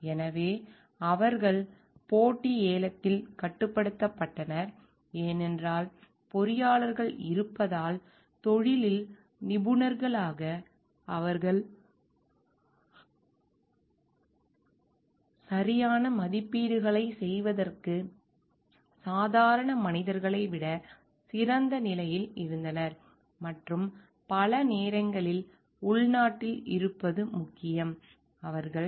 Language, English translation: Tamil, So, they were restricted in competitive bidding, because there is engineers because as experts in the profession, they were in a better position than lay mans to make the right estimates and many times being insiders it was like important